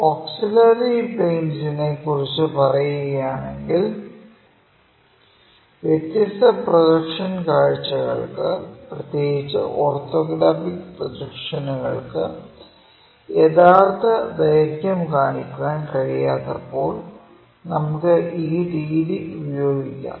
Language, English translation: Malayalam, So, about a auxiliary planes, when different projectional views especially orthographic projections this could not show true lengths then we employ this auxiliary plane method